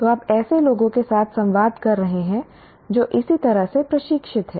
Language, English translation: Hindi, So you are communicating with people who are trained similarly